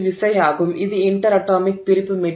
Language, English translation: Tamil, This is inter atomic separation